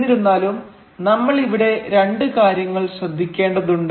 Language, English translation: Malayalam, However, we need to note two things here